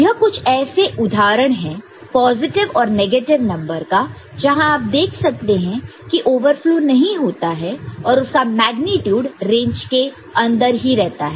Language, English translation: Hindi, And, these are examples of positive with negative we can see that there will never be a overflow because, the magnitude is always within the range right